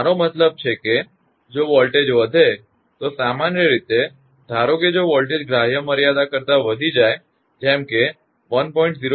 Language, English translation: Gujarati, I mean if the voltage rise; in general suppose if voltage rises within the permissible limits say 1